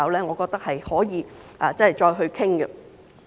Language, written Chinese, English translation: Cantonese, 我認為可以再作討論。, I think this can be further discussed